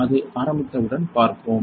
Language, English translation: Tamil, So, once it starts we will see that